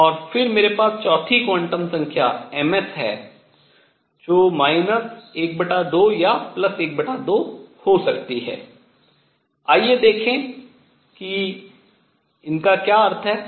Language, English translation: Hindi, And then I have the 4th quantum number m s which could be minus half or plus half, let us see what does it mean